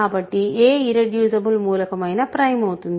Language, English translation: Telugu, So, any irreducible element is prime